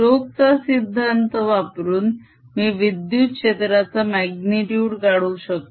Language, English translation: Marathi, using stokes theorem, i can calculate the magnetic of the electric field